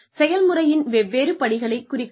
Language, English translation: Tamil, Demarcate different steps of the process